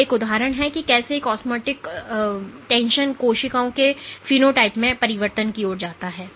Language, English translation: Hindi, So, these are examples of how an osmotic shock leads to alterations in the phenotype of the cells